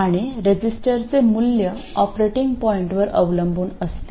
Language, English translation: Marathi, And the value of the register depends on the operating point